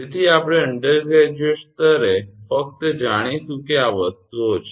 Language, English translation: Gujarati, So, we will just know that at undergraduate level that these are the things